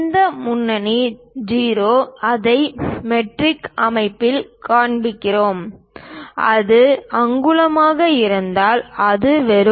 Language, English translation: Tamil, This leading 0, we show it in metric system, if it is inches it will be just